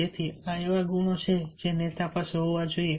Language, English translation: Gujarati, so these are the qualities of a leader